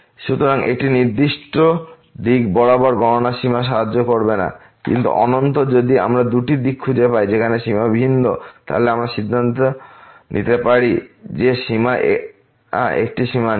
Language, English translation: Bengali, So, computing limit along a particular direction will not help, but at least if we find two directions where the limits are different, then we can conclude that limit is a limit does not exist